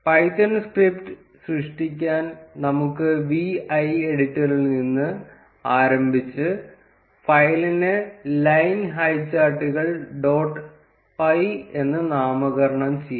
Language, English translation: Malayalam, To create the python script let us start with the vi editor and let us name the file as line highcharts dot py